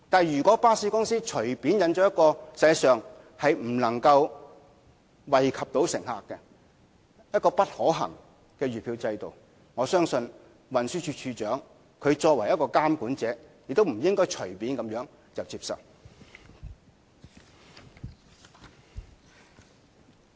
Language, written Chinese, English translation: Cantonese, 如果巴士公司隨便引進一項實際上不能惠及乘客或不可行的月票制度，我相信運輸署署長作為監管者亦不應該隨便接受。, If the bus company casually introduces a monthly pass scheme which is actually unable to benefit passengers or infeasible I do not think the Commissioner for Transport as the regulatory authority should accept it casually